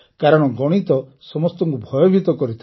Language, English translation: Odia, Because the fear of mathematics haunts everyone